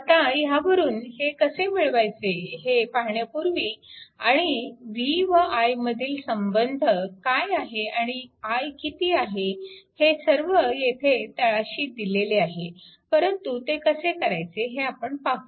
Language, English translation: Marathi, Now, before your how we are getting from here to here and what is the your what is the your that vir relationship, what is equal to i, just we will see everything is given at the bottom, but let us see how we can do it